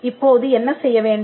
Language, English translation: Tamil, Now, what needs to be done